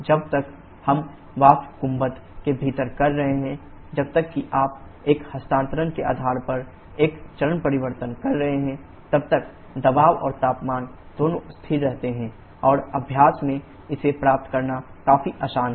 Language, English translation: Hindi, As long as we are doing within the vapour dome that is as long as you are having a phase change based on a transfer both pressure and temperature remains constant and it is quite easy to achieve in practice